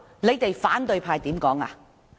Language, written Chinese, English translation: Cantonese, 那時反對派怎樣說？, What did the opposition parties say then?